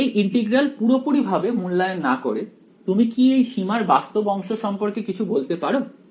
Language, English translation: Bengali, So, without doing evaluating this integral completely what can you say about the real part in the limit